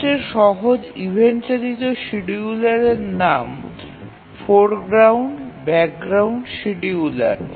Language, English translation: Bengali, The simplest event driven scheduler goes by the name foreground background scheduler